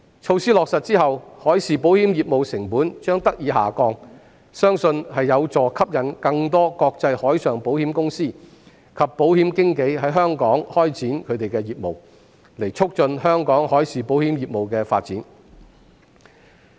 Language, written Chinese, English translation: Cantonese, 措施落實後，海事保險業務成本將得以下降，相信有助吸引更多國際海上保險公司及保險經紀在香港開展業務，以促進香港海事保險業務的發展。, With the implementation of the measures the cost of marine insurance business will be reduced . It is believed that this will attract more international marine insurance companies and insurance brokers to conduct business in Hong Kong thereby promoting the development of Hong Kongs marine insurance business